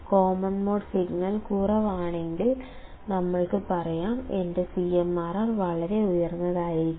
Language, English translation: Malayalam, You can also say that if a common mode signal is low; my CMRR would be extremely high